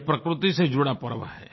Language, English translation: Hindi, This is a festival linked with nature